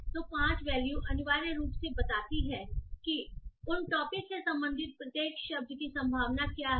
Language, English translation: Hindi, So the 5 value essentially shows what is the probability of each word belonging to each of those topic